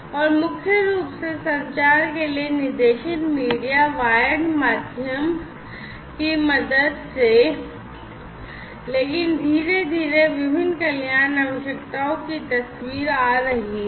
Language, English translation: Hindi, And, with the help of guided media wired medium for communication primarily, but gradually you know the different wellness requirements are also coming into picture